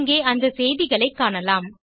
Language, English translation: Tamil, We can see the messages here